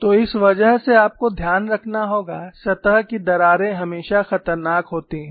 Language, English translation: Hindi, So, because of that you have to keep in mind, the surface cracks are always dangerous